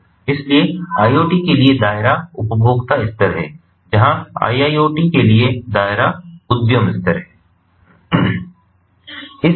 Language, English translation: Hindi, so the scope for iot is consumer level, where, as the scope for iot is enterprise level